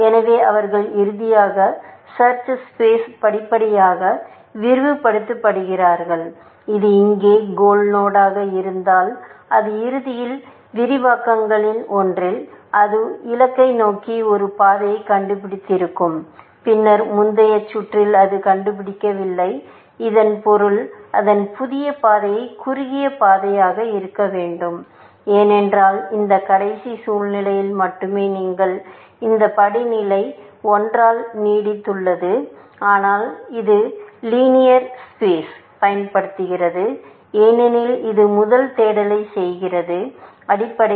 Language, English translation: Tamil, So, they finally, would have basically expanded it search space gradually, and if this is the goal node here, it would have found eventually, at one of the expansions, it would have found a path to goal and since, it did not find it in previous round; it means, its new path must be the shortest path, because it is only in this last situation, that you extended this step by 1, but it uses linear space, because it does the first search, essentially